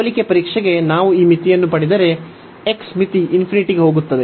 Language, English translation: Kannada, And if we get this limit for the comparison test, so the limit x goes to infinity